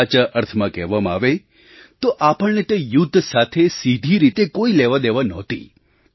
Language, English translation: Gujarati, Rightly speaking we had no direct connection with that war